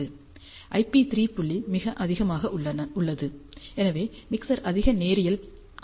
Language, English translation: Tamil, So, the IP3 point is very high, so the mixer is more linear